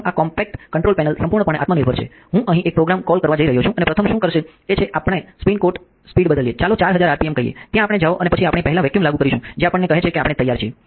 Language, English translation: Gujarati, First this is the compact control panel completely self contained I am going to call up a program here program for and what will first do is we will change the spin speed to let us say 4000 rpm, there we go and then we will first we will apply vacuum, tells us that we were ready ok